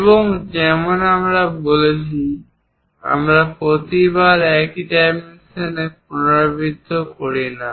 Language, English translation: Bengali, And like I said, we do not repeat the same dimensions every time